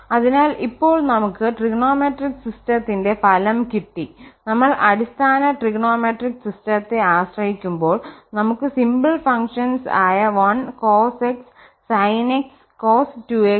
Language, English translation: Malayalam, So, now we have the result for our trigonometric system, so the basic trigonometric system we call the basic trigonometric system and we have the simple functions 1 cos x sin x we have cos 2x sin 2x etc and this can continue to whatever number we want